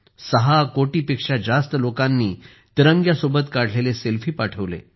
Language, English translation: Marathi, More than 6 crore people even sent selfies with the tricolor